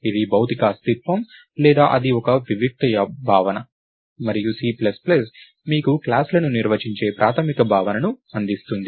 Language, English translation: Telugu, So, it is a physical entity or it is a abstract notion, and C plus plus gives you this basic notion of defining classes